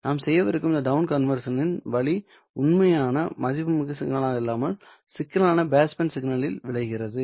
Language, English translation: Tamil, The way in which this down conversion we are going to do will result in not as real valued signal but in a complex base band signal